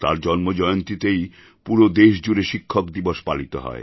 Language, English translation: Bengali, His birth anniversary is celebrated as Teacher' Day across the country